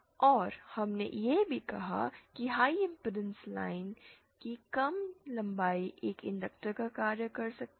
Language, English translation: Hindi, And we also said that high impedance, short length of high impedance line can act as in that and we can substitute that for inductor